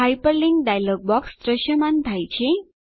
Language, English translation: Gujarati, The Hyperlink dialog box appears